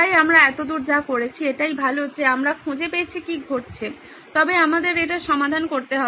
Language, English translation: Bengali, So this was what we did so far, so great we found out what’s going on, but we need to solve it